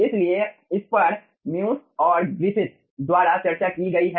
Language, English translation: Hindi, so that has been discussed by ah, miosis and griffith